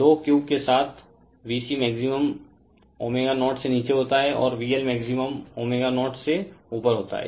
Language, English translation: Hindi, So, with low Q, V C maximum occurs below omega 0, and V L maximum occurs above omega 0